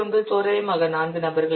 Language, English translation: Tamil, 9 or approximately 4 people